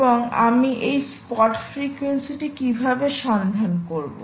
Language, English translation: Bengali, and how do i find out this spot frequency